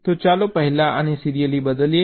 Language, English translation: Gujarati, so let us first shift this serially